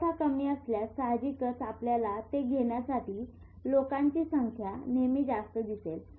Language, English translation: Marathi, If the supply is less, obviously you will always see there is more number of people to catch it